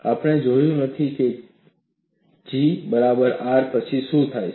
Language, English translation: Gujarati, We have not looked at, after G equal to R, what happens